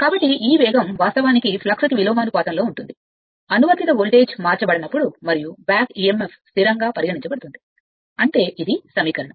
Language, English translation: Telugu, So, this speed is actually inversely proportional to the flux, when the applied voltage is not changed and back Emf can be considered constant that means, this equation